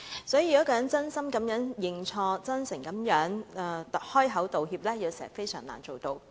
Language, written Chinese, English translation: Cantonese, 所以，要一個人真心認錯，甚至真誠地開口道歉，有時實難做到。, It is sometimes not easy to get someone confessing ones fault and apologizing sincerely